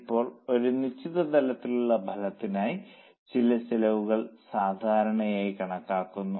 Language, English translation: Malayalam, Now, for a certain level of output, certain costs are considered as normal